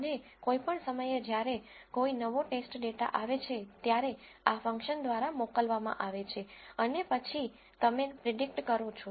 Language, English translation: Gujarati, And any time a new test data comes in, it is sent through this function and then you make a prediction